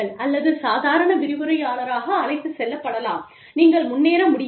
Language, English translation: Tamil, Could be taken in, as a lecturer, and you just, do not progress